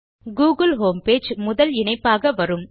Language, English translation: Tamil, The google homepage comes up as the first result